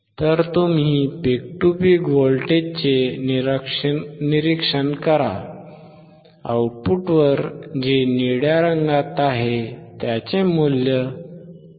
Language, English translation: Marathi, So, you observe the peak to peak voltage, at the output which is in blue colour which is 3